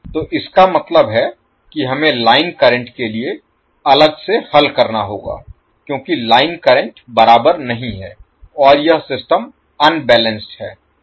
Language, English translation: Hindi, So that means we have to solve for line current separately because the line currents are not equal and this system is unbalanced